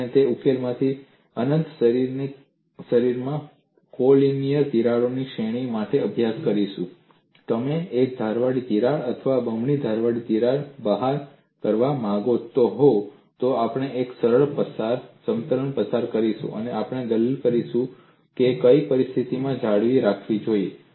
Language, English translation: Gujarati, We would study for series of collinear cracks in an infinite body from that solution, if you want to take out a single edged crack or double edged crack, we would pass a plane and we would argue what kind of situation that should be maintained on the surfaces